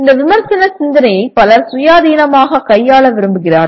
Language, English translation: Tamil, Many people want to deal with this critical thinking independently